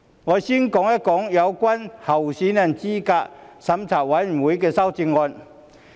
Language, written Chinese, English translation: Cantonese, 我先說有關候選人資格審查委員會的修正案。, Let me first talk about the amendment concerning the Candidate Eligibility Review Committee CERC